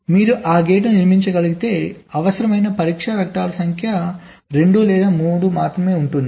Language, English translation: Telugu, so if you able to build that gate, number of test vectors required will be only either two or three